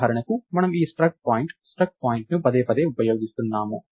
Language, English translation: Telugu, So, for example, I could, so, we were we were using this struct point struct point and so, on repeatedly